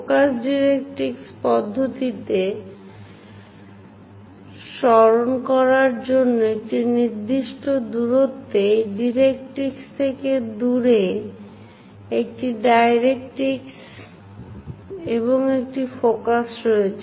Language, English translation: Bengali, Just to recall in focus directrix method, there is a directrix and focus is away from this directrix at certain distance